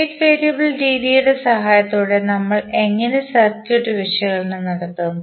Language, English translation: Malayalam, How we will carry out the circuit analysis with the help of state variable methods